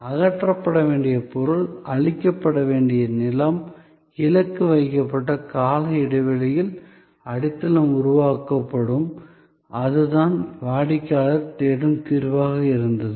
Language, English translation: Tamil, So, material to be removed, ground to be cleared, foundation to be created over a targeted time span; that was the solution the customer was looking for and that was the solution that was offered